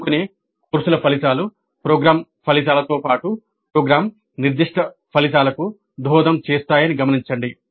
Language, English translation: Telugu, Now the outcomes of elective courses do contribute to the attainment of program outcomes and program specific outcomes